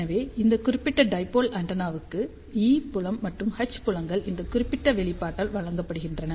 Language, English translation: Tamil, So, for this particular dipole antenna, E field and H fields are given by this particular expression